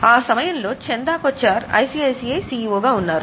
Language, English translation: Telugu, At that time, Chanda Kocher was CEO of ICACI Bank